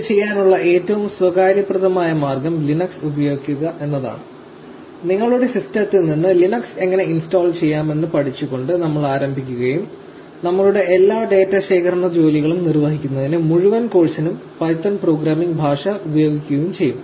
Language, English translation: Malayalam, The most convenient way to do this is to use Linux and we will start by learning how to install Linux in your system and will be using python programming language for the entire course to perform all our data collection tasks